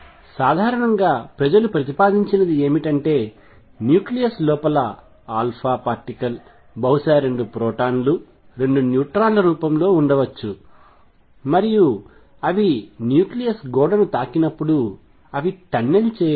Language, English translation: Telugu, What people proposed is that inside the nucleus the alpha particle maybe already in the form of 2 protons 2 neutrons, and when they hit the wall of the nucleus then they can tunnel through